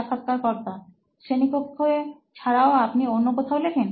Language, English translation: Bengali, Other than the classroom environment, do you write anywhere else